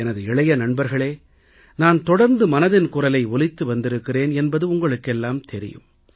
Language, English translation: Tamil, My young friends, you know very well that I regularly do my 'Mann Ki Baat'